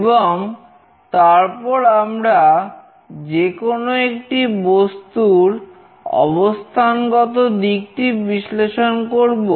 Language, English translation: Bengali, And then we will analyze the orientation of any object